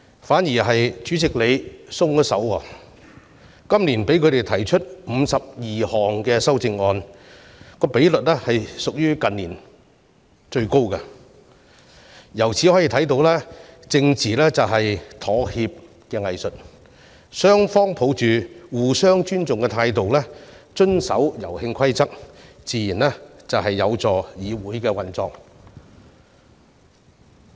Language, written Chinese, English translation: Cantonese, 反倒是主席今年"鬆手"了，讓反對派提出52項修正案，比率屬於近年最高，可見政治便是妥協的藝術，雙方抱着互相尊重的態度遵守遊戲規則，自然會有助議會運作。, On the contrary the President has been lenient this year and approved 52 amendments proposed by the opposition camp the highest proportion in recent years . Hence one can see that politics is the art of compromise; if both sides play by the rules of the game while respecting each other it would naturally facilitate the operation of the Council